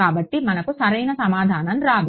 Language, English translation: Telugu, So, we will not get the right answer